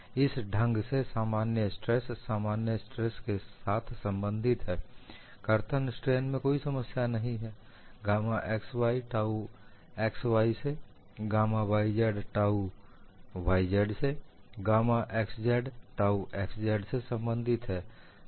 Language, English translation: Hindi, So, the normal strains are related to normal stress in this fashion, shears strain there is no problem, gamma x y is related to tau x y, gamma y z is related to tau y z, gamma x z is related to tau x z